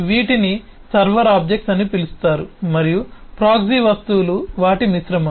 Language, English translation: Telugu, these are known as server objects and the proxy objects are kind of mixture of them